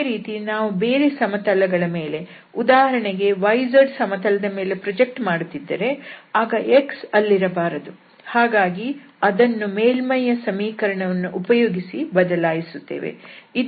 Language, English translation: Kannada, Or similarly, the other variable if we are projecting on yz, then there should not be x there, that will be replaced from the equation of the surface and then this was the differential element